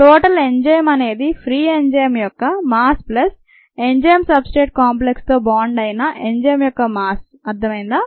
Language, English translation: Telugu, the mass of the total enzyme is the mass of the free enzyme plus the mass of the enzyme that is bound to the enzyme substrate complex, right